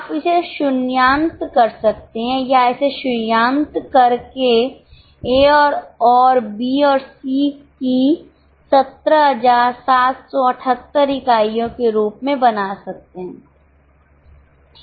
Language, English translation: Hindi, Of course you can round it up or round it up making it 17778 as units of A and B and C